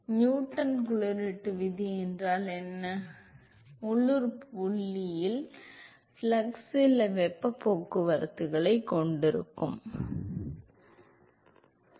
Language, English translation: Tamil, What is Newton law of cooling, at the local point the flux is given by some heat transport coefficient into the temperature different right